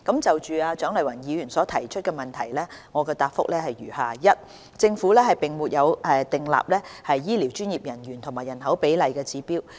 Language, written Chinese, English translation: Cantonese, 就蔣麗芸議員所提出的質詢，我現答覆如下：一政府並沒有訂立醫療專業人員與人口比例的指標。, My reply to the question raised by Dr CHIANG Lai - wan is as follows 1 The Government has not set any target ratio between medical professionals and the population